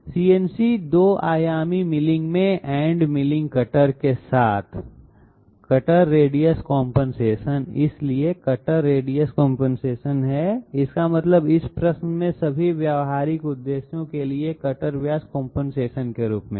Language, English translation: Hindi, Cutter radius compensation in CNC 2 dimensional milling with end milling cutter, so cutter radius compensation is it means the same thing as cutter diameter compensation for all practical purposes in this question